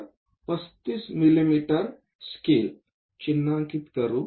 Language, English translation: Marathi, So, let us mark 35 mm scale